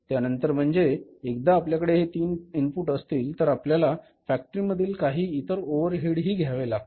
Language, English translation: Marathi, After that means once you have these three inputs then we have to have some other overheads in the factory